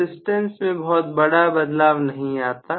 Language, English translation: Hindi, So, the resistance will not change grossly